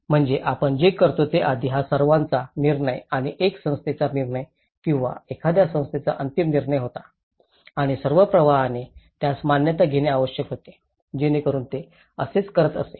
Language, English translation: Marathi, So that what we do is earlier it was all one man’s decision and one body’s decision or one organization’s final decision and all the flow has to take an approval of that so that is how it used to do